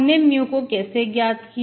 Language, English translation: Hindi, So I have got my mu as a function of x